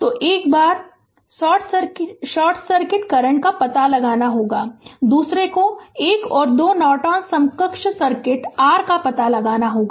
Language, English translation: Hindi, So, once you have to find out short circuit current, another is you have to find out the your ah in 1 and 2 ah Norton equivalent circuit right